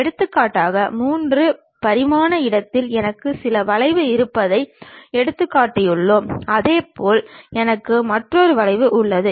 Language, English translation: Tamil, For example, let us take I have some curve in 3 dimensional space similarly I have another curve